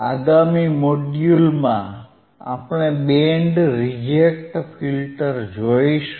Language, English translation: Gujarati, So, in the next module, we will see what is band reject filter